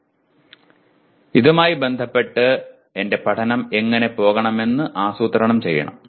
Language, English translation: Malayalam, Now in that context I have to now plan how do I go about my learning